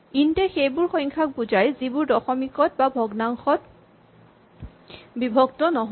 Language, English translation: Assamese, So, int refers to numbers, which have no decimal part, which have no fractional part